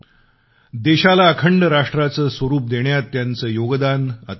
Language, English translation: Marathi, His contribution in giving a unified texture to the nation is without parallel